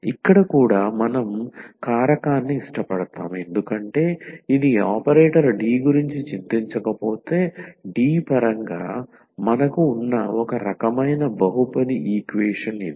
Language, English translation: Telugu, So, here also we can like factorize because this is a kind of polynomial equation we have in terms of D if we do not worry about this operator D